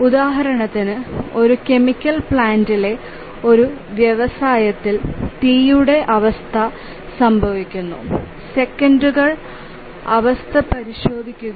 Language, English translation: Malayalam, For example, let's say a fire condition occurs in a industry in a chemical plant